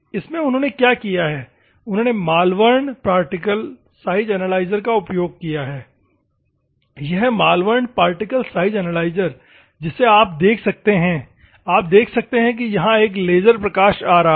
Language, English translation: Hindi, In this particular thing, what they have do is Malvern particle size analyzer is kept here, this is the Malvern particle analyzer you can see, you can see a laser light is coming here, laser light is coming